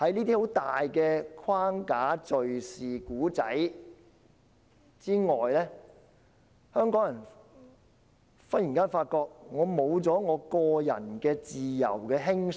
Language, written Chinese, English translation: Cantonese, 但是，在這些框架、敍事及故事之下，香港人竟突然發覺失去了享有個人自由的輕鬆。, However behind these frameworks incidents and stories Hong Kong people suddenly realize that the relaxed sense of personal freedom has gone